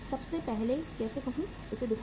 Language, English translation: Hindi, First of all how to say show it